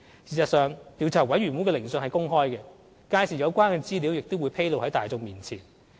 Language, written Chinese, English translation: Cantonese, 事實上，調查委員會的聆訊是公開的，屆時有關資料亦會披露在大眾面前。, As a matter of fact the hearing of the Commission will be conducted openly thus the relevant information will be disclosed to the public in due course